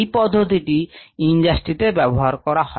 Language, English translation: Bengali, this is used in the industry